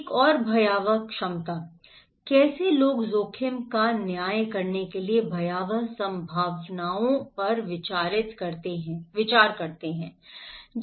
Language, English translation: Hindi, Another one the catastrophic potentials, how people consider the catastrophic potentials in order to judge the risk